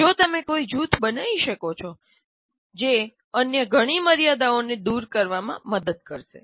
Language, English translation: Gujarati, If you can form a group that will greatly help overcome many of the other limitations